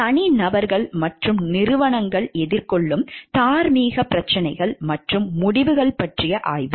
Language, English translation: Tamil, The study of moral issues and decisions confronting individuals and organizations